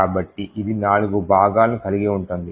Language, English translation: Telugu, So, it comprises of four parts